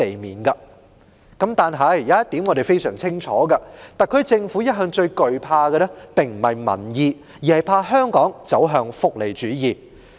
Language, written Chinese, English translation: Cantonese, 然而，我們很清楚一點，就是特區政府一直最懼怕的不是民意，而是香港走向福利主義。, However we know only too well that all along what the Special Administrative Region SAR Government has been most afraid of is not public opinion . Rather it is Hong Kong moving towards welfarism